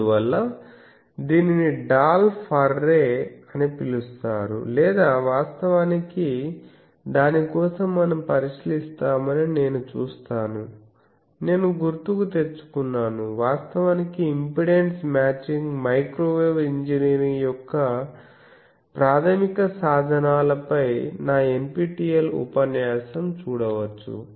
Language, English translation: Telugu, So, that is why it is called Dolphs array or actually you see that we for that we will look into the I recall actually I think I we have seen it you can see my NPTEL lecture on the impedance matching, basic tools of microwave engineering where we have discussed about Chebyshev polynomials